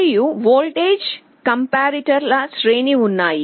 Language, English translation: Telugu, And there are a series of voltage comparators